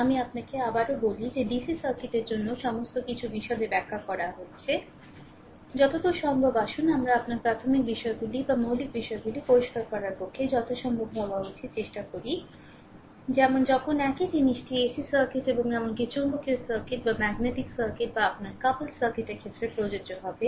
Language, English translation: Bengali, Let me tell you once again that for DC circuit, everything is being explained in detail, right, as far as possible, ah ah let us try to make things ah you know fundamentals or fundamental should be as far as possible to clear such that when same thing will apply for ac circuit and even in magnetic circuit or your couple circuit, right